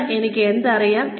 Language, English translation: Malayalam, What do I know today